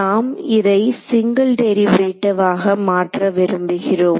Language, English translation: Tamil, So, we would like to convert it into single derivatives right